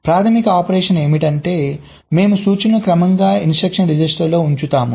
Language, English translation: Telugu, so the basic operation is that we feed the instruction serially into the instruction register